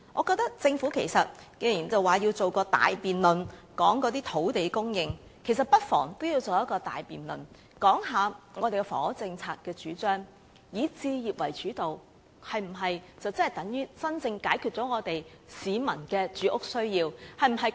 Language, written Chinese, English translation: Cantonese, 既然政府表示要舉行大辯論，討論土地供應，其實不妨也舉行一個大辯論討論房屋政策，是否以置業為主導，便等於真正解決市民的住屋需要？, Since the Government says it will hold a large - scale debate on land supply we may as well hold another one on the housing policy . Does focusing on home ownership mean genuinely addressing the peoples housing needs?